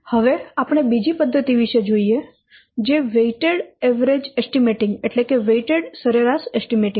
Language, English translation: Gujarati, So now we will see the second one that is weighted average estimates